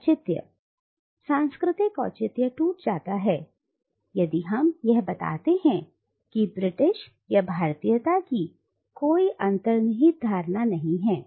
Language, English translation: Hindi, The justification, cultural justification breaks down if we point out that there is no inherent notion of Britishness or Indianness